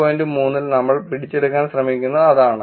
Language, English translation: Malayalam, Which is what we are trying to capture in 5